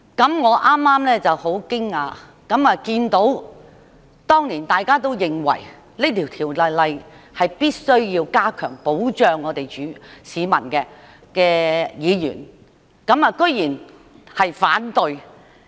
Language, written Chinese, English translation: Cantonese, 剛才我感到很驚訝，因我看到當年認為必須修訂這項條例以加強對市民的保障的議員，居然投反對票。, Just now I was really surprised as I saw that opposing votes had been cast by Members who considered it necessary to amend this Ordinance to enhance protection for the public back then